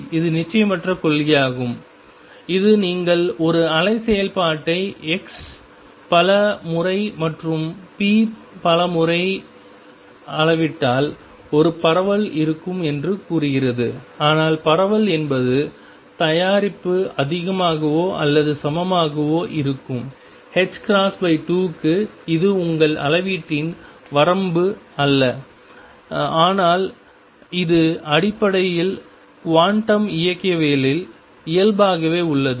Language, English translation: Tamil, And this is the uncertainty principle, which says that if you measure for a wave function x many many times and p many many times there will be a spread, but the spread is going to be such that it is product will be greater than or equal to h cross by 2, it is not a limitation of your measurement, but this is fundamentally inherent in quantum mechanics